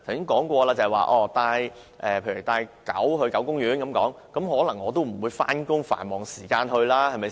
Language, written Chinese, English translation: Cantonese, 我剛才說過，如果要到狗公園遛狗，我都不會在上班、繁忙時間才去，對吧？, Just now I said that I would not take my dog to the dog garden during office hours or peak hours right?